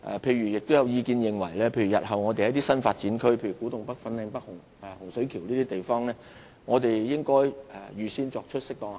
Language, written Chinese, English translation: Cantonese, 此外，亦有意見認為日後在一些新發展區，例如古洞北、粉嶺北和洪水橋等地方，應預先作出適當的考慮。, In addition views have also been expressed on the need to give due consideration in advance in the future to the use of underground space in some new development areas such as Kwu Tung North Fanling North Hung Shui Kiu and so on